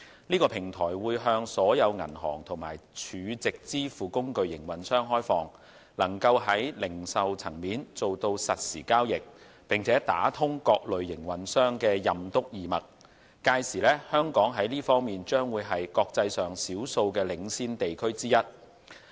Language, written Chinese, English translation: Cantonese, 這個平台會向所有銀行和儲值支付工具營運商開放，能夠在零售層面做到實時交易並打通各類營運商的"任督二脈"，屆時香港在這方面將是國際上少數的領先地區之一。, This platform which will be open to all banks and operators of stored value facilities will enable real - time transactions at retail level and provide full connectivity for the various types of operators and by then Hong Kong will become one of the few leading regions in the international arena in this aspect